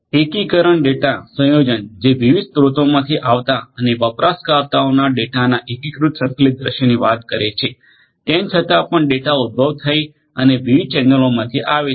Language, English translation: Gujarati, Integration talks about combination of data from arriving from different sources and providing users with unified integrated view of the data, even though the data is originated and is coming from different different channels